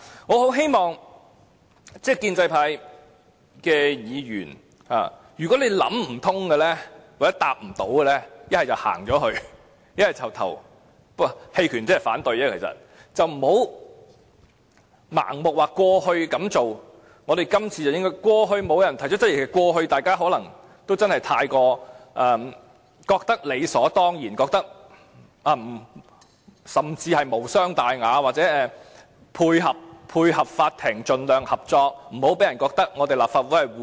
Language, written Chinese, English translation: Cantonese, 我很希望建制派議員，如果你未能想通或不懂回答的話，倒不如離開或投棄權票，而不要盲目說過去這樣做，我們這次都應該——過去沒有人提出質疑，過去大家可能覺得理所當然，覺得無傷大雅，為配合法庭而盡量合作，不要讓人覺得立法會護短。, I earnestly hope that you pro - establishment Members had better leave or abstain from voting if you cannot figure out the issue or do not know how to respond . Never say that we should do the same in the usual way without thinking carefully―no one ever raised any doubt in the past probably because people thought that it was natural to be cooperative and to furnish whatever information the Court asked for since that would not do any harm and we should avoid giving the impression that the Legislative Council tended to defend the wrongdoer